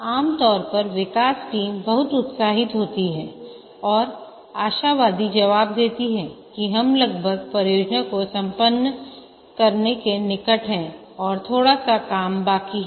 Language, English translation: Hindi, Typically the development team is very enthusiastic and they optimistically answer that we have almost done, only small thing is there